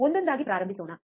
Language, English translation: Kannada, Let us start one by one